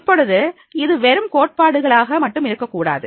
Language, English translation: Tamil, Now, it should not be only theoretical